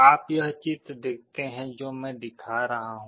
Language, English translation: Hindi, You see this diagram that I am showing